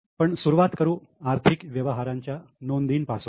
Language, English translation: Marathi, Okay, to first begin with the recording of financial transactions